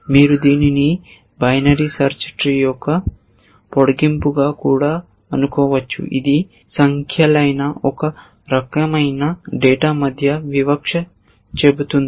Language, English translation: Telugu, You might even think of it as a extension of binary search tree, which this discriminates between only one kind of data which is numbers